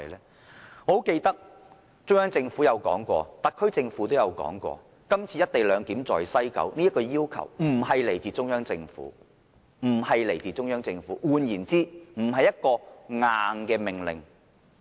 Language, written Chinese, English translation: Cantonese, 我十分記得中央政府和特區政府曾說過，今次西九總站實施"一地兩檢"的要求並非來自中央政府，換言之，這並不是"硬命令"。, As I can clearly remember both the Central Government and the SAR Government have disclosed that the Central Government is not the one who requests the implementation of co - location clearance at West Kowloon Station . In other words the request is not an order as such